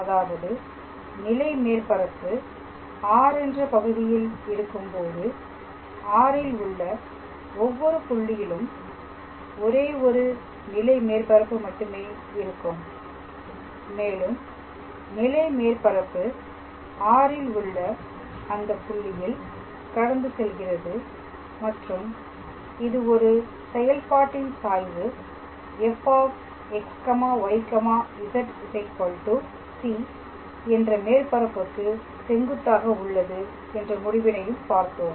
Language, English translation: Tamil, So, in the previous class, we introduced the concept of level surfaces and we also saw two results that when you have a level surface on a region R, then at every point of R only one level surface and that can pass through that point in R and we also saw another result which says that gradient of a function is perpendicular to the surface f x, y, z equals to c